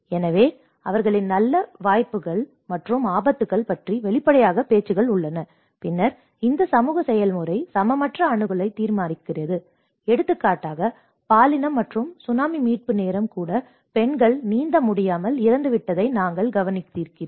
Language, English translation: Tamil, So, there are obviously talks about their good opportunities and the hazards, and then this social process determines unequal access like for example even the gender and Tsunami recovery time you have noticed that many of the women have died because they are unable to swim